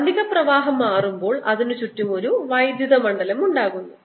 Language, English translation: Malayalam, as the magnetic flux changes it produces an electric field going around